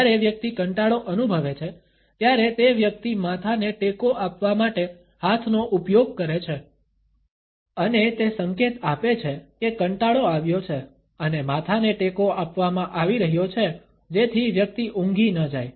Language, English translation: Gujarati, When the person feels bored, then the person uses the hand to support the head and it signals that the boredom has set in and the head is being supported so that the person does not fall down asleep